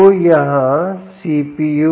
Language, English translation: Hindi, this could be the cpu